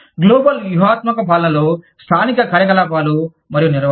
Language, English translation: Telugu, Global strategy governs, local operations and management